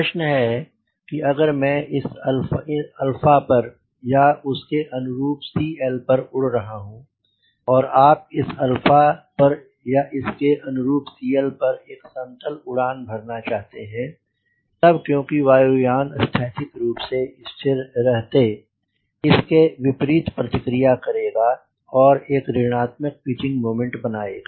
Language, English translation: Hindi, but the question is if i am flying at these alpha or corresponding c l, and if you want to fly at this alpha, let us say, or a corresponding c l, a maintaining a level flight, then the aircraft being statically stable, it will automatically opposite, it will generate negative pitching moment